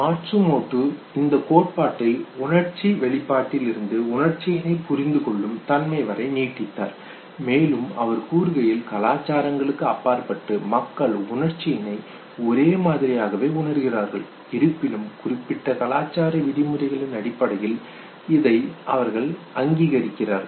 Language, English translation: Tamil, Now Matsumoto he extended this theory from extended this theory from expression to the perception of emotion and he says that a cross culture people perceive emotional expressions in the same way however they acknowledge this based on the culture specific norms